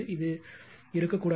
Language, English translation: Tamil, This should not be there